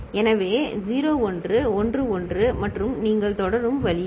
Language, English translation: Tamil, So, 0 1 1 1 and that way you continue